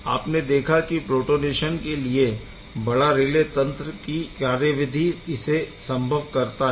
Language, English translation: Hindi, You see there is a big relay process that is happening by which this protonation is taking place right